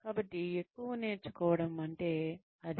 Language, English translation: Telugu, So, that is over learning